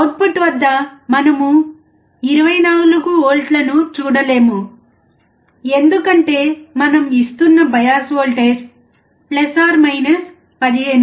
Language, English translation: Telugu, We cannot see 24V at the output because the bias voltage that we are giving is + 15